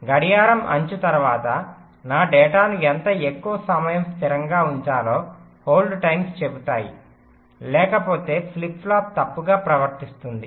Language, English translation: Telugu, that is, the setup time and the hold times says, after the clock edge, how much more time i should keep my data stable, otherwise the flip flop may behave incorrectly